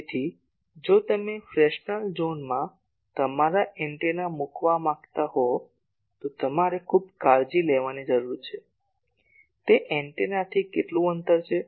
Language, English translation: Gujarati, So, if you want to put your antennas in Fresnel zone you need to be very careful, that what is the distance from the antenna